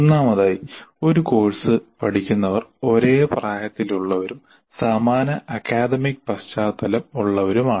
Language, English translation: Malayalam, First of all, all learners of a course belong to the same age group and have similar academic background